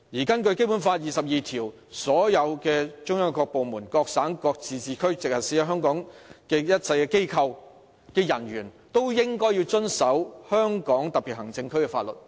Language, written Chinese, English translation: Cantonese, 根據《基本法》第二十二條，"中央各部門、各省、自治區、直轄市在香港特別行政區設立的一切機構及其人員均須遵守香港特別行政區的法律。, According to Article 22 of the Basic Law [a]ll offices set up in the Hong Kong Special Administrative Region by departments of the Central Government or by provinces autonomous regions or municipalities directly under the Central Government and the personnel of these offices shall abide by the laws of the Region